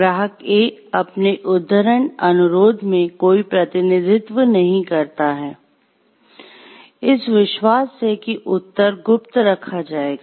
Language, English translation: Hindi, Client A makes no representation in his quotation request, that replies will be held in confidence